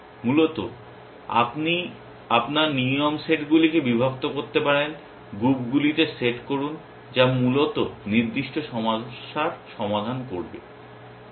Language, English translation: Bengali, Essentially, you can partition your rule sets into, set into groups which will solve particular problems essentially